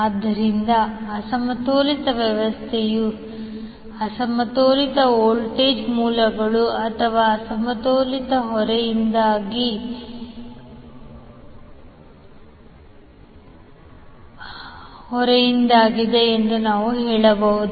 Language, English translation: Kannada, So therefore we can say that unbalanced system is due to unbalanced voltage sources or unbalanced load